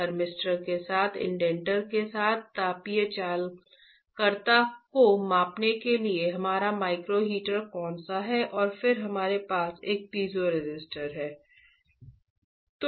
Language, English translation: Hindi, Which is our micro heater to measure the thermal conductivity with an indenter with the thermistor and then we have a piezoresistor